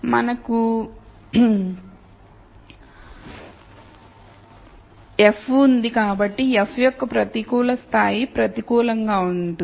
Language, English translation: Telugu, So, we have grad of f so negative grad of f would be negative